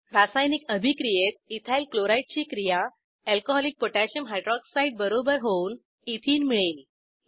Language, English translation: Marathi, In the reactions Ethyl chloride reacts with Alcoholic potassium Hyroxide to give Ethene